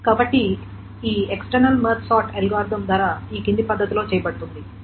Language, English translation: Telugu, So cost of this external Mart sort algorithm is done in the following manner